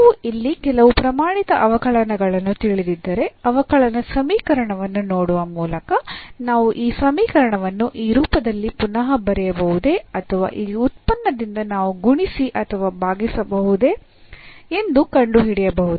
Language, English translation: Kannada, So, if we know some standard differentials here, then looking at the differential equation also we can find that if we rewrite this equation in this form or we multiply or divide by this function